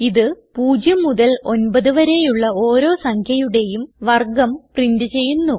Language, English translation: Malayalam, This will print the square of each number from 0 to 9